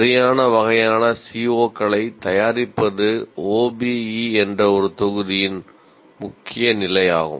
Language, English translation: Tamil, Preparing really the right kind of COs is the core point of module 1, that is OBE